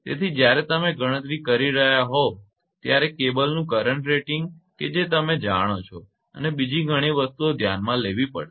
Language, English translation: Gujarati, So, when you are calculating the you know the current rating of a cable you have to consider many things